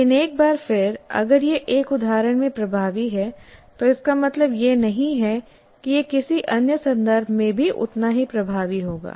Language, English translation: Hindi, But once again, if it is effective in a particular instance doesn't mean that it will be equally effective in some other context